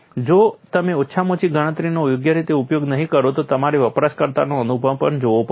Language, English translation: Gujarati, If you do not use the least count properly, you will also have to look at the experience of the looser